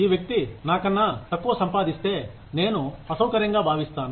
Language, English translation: Telugu, If this person earns lesser than me, then I will feel uncomfortable